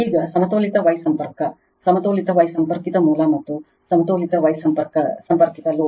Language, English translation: Kannada, Now, balanced star connection; balanced star connected source and balanced star connected load